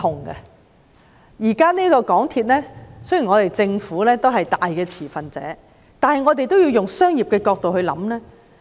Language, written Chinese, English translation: Cantonese, 雖然政府現時是港鐵公司最大持份者，但我們也要從商業角度來思考。, Although the Government is currently the largest shareholder of MTRCL we should still think from a commercial perspective